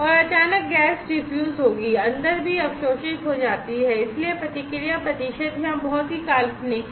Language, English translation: Hindi, And suddenly the gas will defuse inside also absorbed outside so response percent is very fantastically high here